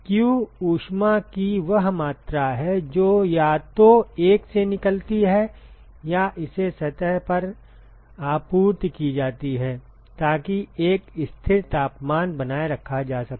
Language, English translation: Hindi, q is the amount of heat either released from 1, or it is supplied to surface one in order to maintain a constant temperature